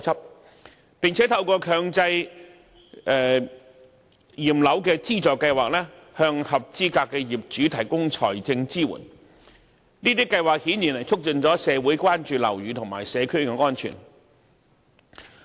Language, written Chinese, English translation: Cantonese, 另外，房協和市建局亦透過強制驗樓資助計劃，向合資格業主提供財政支援，這些計劃顯然促進了社會對樓宇和社區安全的關注。, Moreover HKHS and URA through the Mandatory Building Inspection Subsidy Scheme provide financial assistance to eligible owners . These schemes have obviously enhanced societys awareness of building and community safety